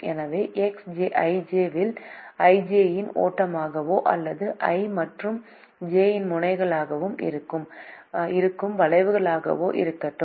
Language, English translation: Tamil, so let x i j be the flow in the arc i j, or the arc that connects nodes i and j